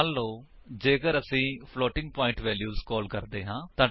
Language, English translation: Punjabi, Suppose if we pass floating point values